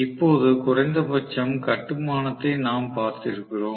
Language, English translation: Tamil, Now, that we have at least seen the construction basically